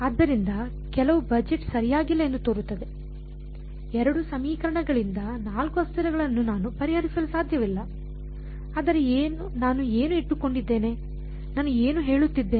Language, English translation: Kannada, So, some budgeting seems to be off right, I cannot solve for 4 variables from 2 equations, but what I keep, what I have been saying